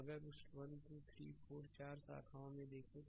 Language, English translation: Hindi, So, if you look into that 1 2 3 4 four branches are there